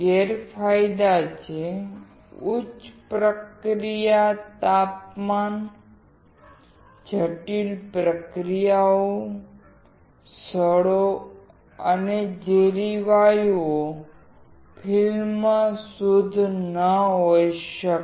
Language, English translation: Gujarati, The disadvantages are: high process temperatures; complex processes; corrosive and toxic gases; film may not be pure